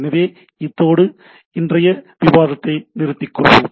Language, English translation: Tamil, So, with this let us stop today’s discussion